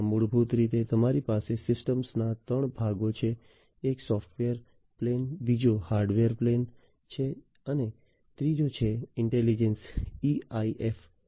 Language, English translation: Gujarati, In this basically you have 3 types, 3 parts of the system one is the software plane, second is the hardware plane and the third is the ensemble in intelligence framework the EIF